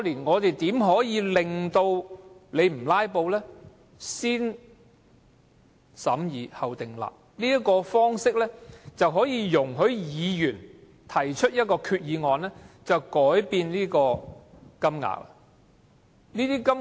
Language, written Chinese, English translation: Cantonese, 我提出的"先審議後訂立"方式，可容許議員提出一項決議案修改金額。, I propose to adopt the positive vetting approach so that Members can revise the compensation amount by resolution